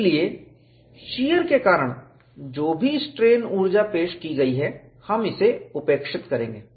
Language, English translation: Hindi, So, whatever the strain energy introduced because of shear, we would neglect it